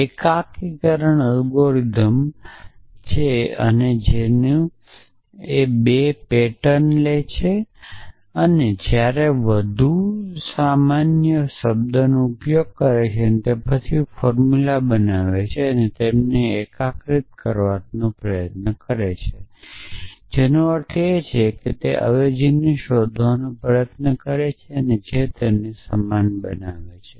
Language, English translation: Gujarati, What unification algorithm does is that it takes 2 patterns while use a more generic term then formulas and tries to unify them which means tries to find the substitution which should make them same essentially